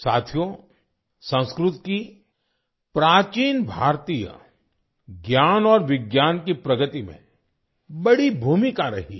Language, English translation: Hindi, Friends, Sanskrit has played a big role in the progress of ancient Indian knowledge and science